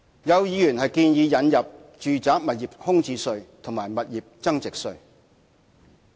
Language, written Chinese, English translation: Cantonese, 有議員建議引入住宅物業空置稅及物業增值稅。, Some Members have the introduction of a vacant residential property tax and capital gains tax